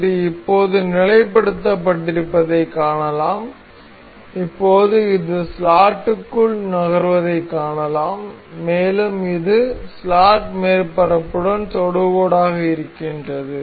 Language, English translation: Tamil, Now, we can see it is logged now, and now we can see this moving within the slot and it is tangent to see, it the slot surface